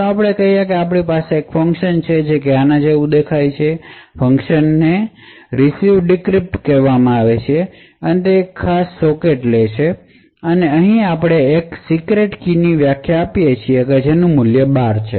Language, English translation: Gujarati, Let us say we have a function which looks something like this, so the function is called RecvDecrypt and it takes a particular socket and over here we define a secret key which has a value of 12